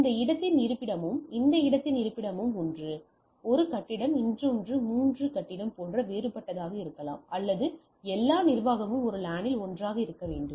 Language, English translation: Tamil, So, the location of this one and location of this one is maybe different like one maybe building 1, another maybe building 3 and but what I require that all administration should be one in one LAN